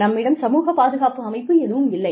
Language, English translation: Tamil, So, we do not have a system of social security